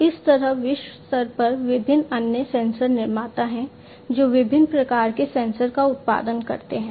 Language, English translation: Hindi, Like this, there are many different other sensor manufacturers globally, that produce different types of sensors